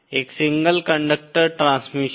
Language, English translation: Hindi, A single conductor transmission